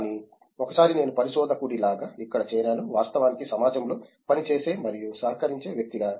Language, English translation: Telugu, But then once I joined here like researcher is a someone who actually works and contributes to the society as a whole